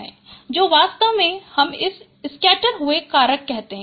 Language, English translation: Hindi, So, in fact, we call it this factor as scatter